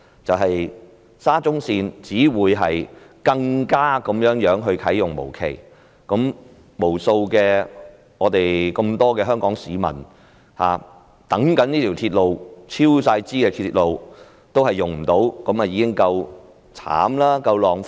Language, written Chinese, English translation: Cantonese, 就是沙中線只會啟用無期，無數香港市民期待的這條嚴重超支的鐵路將無法使用，這已經夠可憐，亦十分浪費。, The commissioning of SCL will have to be delayed meaning that this grossly overspent railway on which numerous Hong Kong citizens have pinned hopes would not be put to use . This is already pathetic and utterly wasteful too